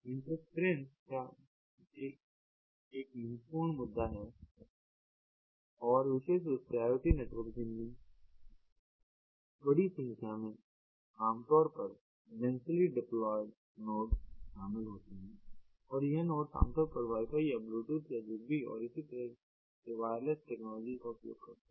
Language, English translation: Hindi, in any network interference is ah a crucial issue and particularly iot networks involve lot of large number of typically densely deployed nodes, and these nodes, because the at you know, typically ah wireless, power, ah by wifi or bluetooth or zigbee and so on